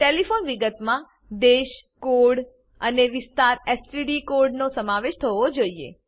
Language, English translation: Gujarati, Telephone details should include Country code i.e ISD code and Area/STD code E.g